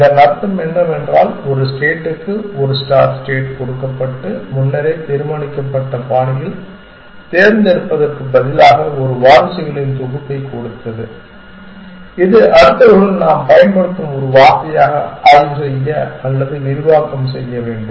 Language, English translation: Tamil, What we mean by this is that given a state given a start state and given a set of successors instead of choosing in a predetermine fashion, which successors to inspect or expand as a term we use next